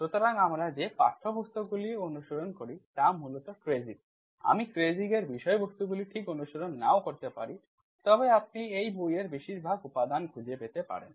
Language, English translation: Bengali, So Textbooks that we follow are basically Kreyszig, I may not follow exactly contents of Kreyszig but you may find most of the material in this book